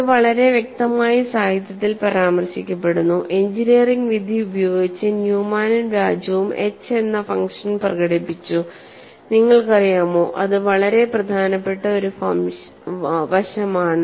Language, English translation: Malayalam, And it is very clearly mention in the literature, using engineering judgment Newman and Raju expressed the function h as that is a very important aspect; this function is not so simple